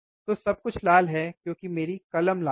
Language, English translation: Hindi, So, everything is red, because my pen is red